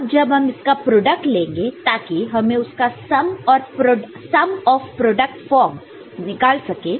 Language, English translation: Hindi, Then when you perform the product to get each of the finally you know, sum of product form